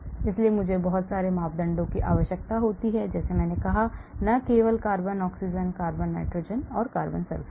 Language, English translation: Hindi, parameters, so molecular mechanics requires lot of parameters like I said, not only carbon oxygen, carbon nitrogen, carbon sulfur